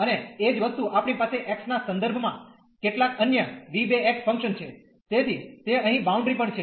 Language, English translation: Gujarati, And the same thing, we have some other v 2 x function with respect to x, so that is boundary here also changes